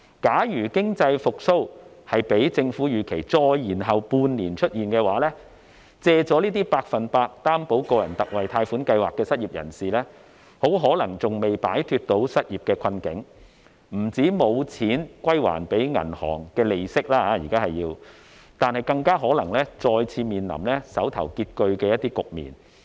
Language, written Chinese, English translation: Cantonese, 假如經濟復蘇較政府預期再延後半年出現，借了百分百擔保個人特惠貸款計劃的失業人士很可能尚未擺脫失業的困境，不但沒有錢歸還銀行利息，更可能再次面臨手頭拮据的局面。, If the economic recovery as anticipated by the Government is delayed by another half a year the unemployed who have drawn loans under the Special 100 % Loan Guarantee for Individuals Scheme will possibly have not escaped unemployment traps . Not only will they have no money to pay the bank the interest on their loans but they will also be hard up for money again